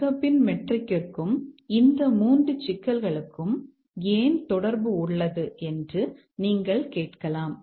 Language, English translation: Tamil, You might ask why there is a correlation between the Maccalfe metric and these three issues